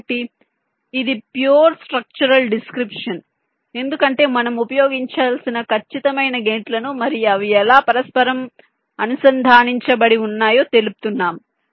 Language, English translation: Telugu, so this is the pure structural description because we have specifying the exact gates to be used and how they are interconnected